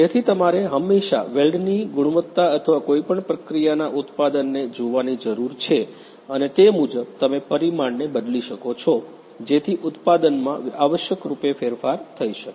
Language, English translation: Gujarati, So, you always need to look at the weld quality or the you know the product of the of any process and accordingly you have to change the parameter so, that in terms of essentially in the product